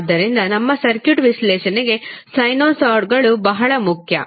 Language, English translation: Kannada, So, therefore the sinusoids are very important for our circuit analysis